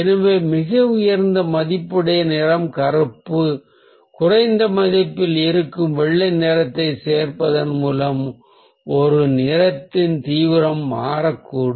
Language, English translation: Tamil, so by adding white, which is the highest value colour, or black, which is the low value colour in its lowest value, the intensity of a colour may change